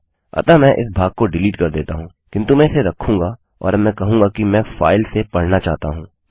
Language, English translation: Hindi, So Ill delete this part but Ill retain this and now Ill say I want to read from the file